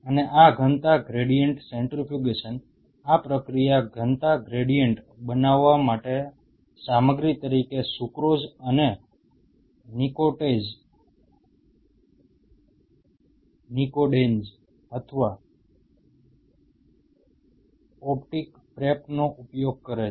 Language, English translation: Gujarati, And this density gradient centrifugation, this process using sucrose or nycodenz or optic prep as the material to make the density gradients